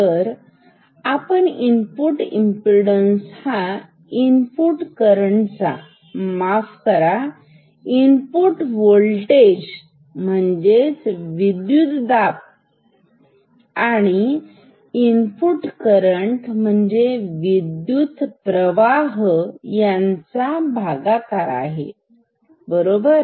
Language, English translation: Marathi, So, input impedance this is equal to input current sorry, input voltage divided by input current, input voltage divided by input current ok